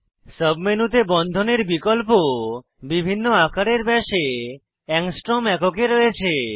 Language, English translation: Bengali, The sub menu has options of bonds in different size diameter, in angstrom units